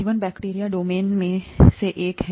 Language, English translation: Hindi, Life, bacteria is one of the domains